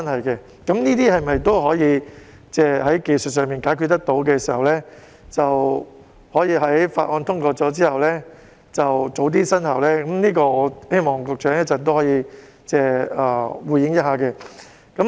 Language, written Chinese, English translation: Cantonese, 如果這些情況可以在技術上解決得到，在《條例草案》通過後可以及早生效，就此我希望局長稍後可以回應。, If all of these are technically feasible and the provisions concerned can be implemented at an earlier date after the passage of the Bill I hope that the Secretary will provide his response later on